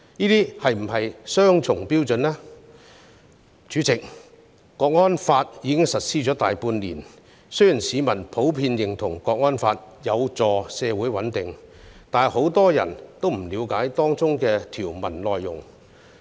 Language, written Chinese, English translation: Cantonese, 代理主席，《香港國安法》已實施大半年，雖然市民普遍認同《香港國安法》有助社會穩定，但不少人並不了解當中條文的內容。, Deputy President the National Security Law has been implemented for more than half a year . Although members of the public generally agree that the legislation is conducive to social stability many people do not quite understand the contents of its provisions